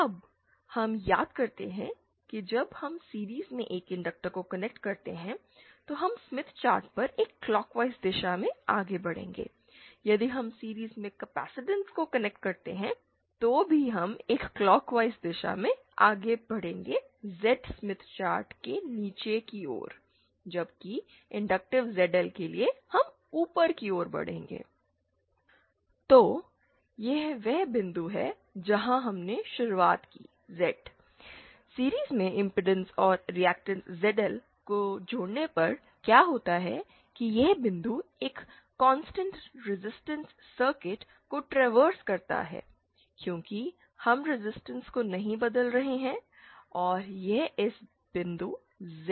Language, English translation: Hindi, Now we recall now recall that when we connect an inductor in series, then we will be moving in a clockwise direction from on the Smith chart if we connect capacitance in series, then also we will be moving in a clockwise direction however we will be moving towards the bottom side of the Z Smith chart, whereas for an inductive zl, we will be moving upwards